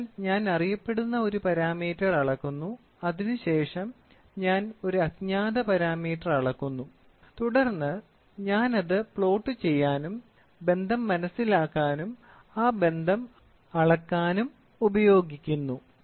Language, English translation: Malayalam, So, I measure a known parameter, then I measure a unknown parameter and then I try to plot it, understand the relationship and then use that relationship in measurement